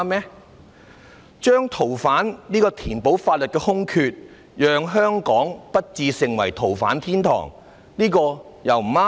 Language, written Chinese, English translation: Cantonese, 填補《逃犯條例》的法律空缺，使香港不致成為逃犯天堂，這也不對嗎？, Is there also something wrong with filling the legal vacuum in FOO so that Hong Kong will not become a haven for fugitives?